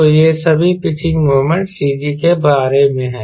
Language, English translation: Hindi, so all this pitching moment are about about cg, right